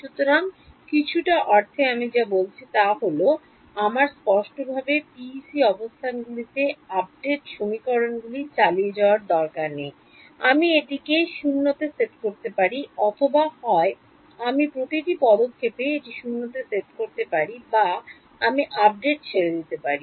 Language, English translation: Bengali, So, in some sense what I am saying is that I do not need to explicitly keep running the update equations on the PEC locations, I can set it to 0 either I can set it to 0 at each step explicitly or I let the update equations run they will keep it at 0 ok